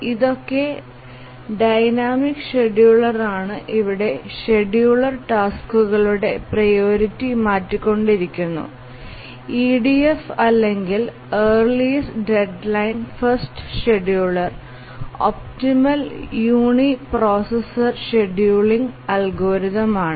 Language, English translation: Malayalam, So, these are the dynamic scheduler where the scheduler keeps on changing the priority of the tasks and of all the dynamic priority schedulers, the EDF or the earliest deadline first scheduler is the optimal uniprocessor scheduling algorithm